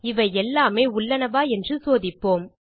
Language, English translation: Tamil, Ill be checking the existence of all these